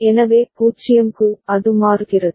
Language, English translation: Tamil, So, for 0, it is changing